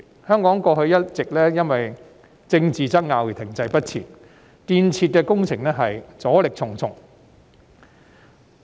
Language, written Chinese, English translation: Cantonese, 香港過去一直因為政治爭拗而停滯不前，導致建設工程阻力重重。, In the past Hong Kong has remained stagnant due to political wrangling posing many obstacles to construction works